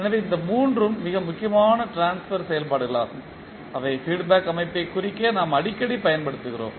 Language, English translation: Tamil, So these three are the most important transfer functions which we use frequently to represent the feedback system